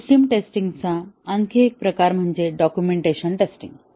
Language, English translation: Marathi, One more type of system test is the documentation test